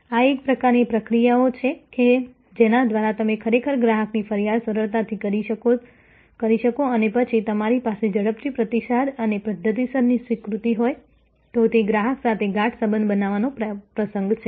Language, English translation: Gujarati, This is the kind of processes thorough which if you can actually make customer's complaint easily and then, you have a quick response and the systemic acceptance, then it is an occasion of creating deeper relationship with that customer